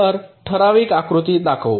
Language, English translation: Marathi, so let us show a typical diagram